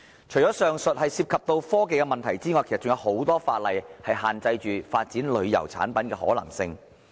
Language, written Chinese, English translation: Cantonese, 除了上述涉及科技的問題外，其實還有很多法例限制發展旅遊產品的可能性。, Apart from the technology - related problem mentioned above there are actually many laws restricting the possibility of developing tourism products . Take for example the development of adventure tourism